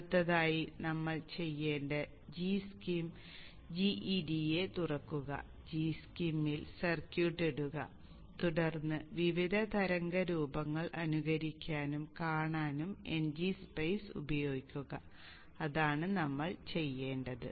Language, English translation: Malayalam, Next what we have to do is open G S Shem, GEDS G EDS G G S, put the circuit in it and then use NG Spice to simulate and see the various waveforms and that's what we will do